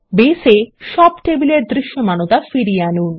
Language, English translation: Bengali, Bring back all the tables to visibility in Base